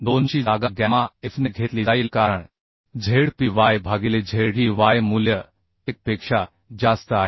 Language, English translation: Marathi, 2 will be replaced by the gamma f as Zpy by Zey value is more than 1